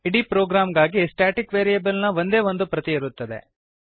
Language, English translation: Kannada, Only one copy of the static variable exists for the whole program